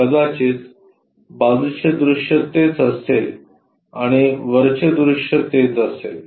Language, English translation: Marathi, Perhaps side view will be that, and top view will be that